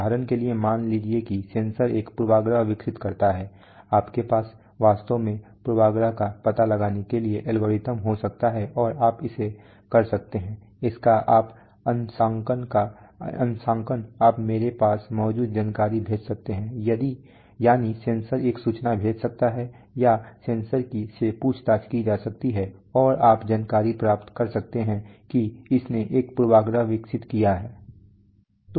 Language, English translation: Hindi, For example, suppose the sensor develops a bias you can have algorithms to actually detect the bias and you can do it, its own calibration you can send information that I have, that is the sensor can send an information or sensor can be interrogated and you can find the information that it has developed a bias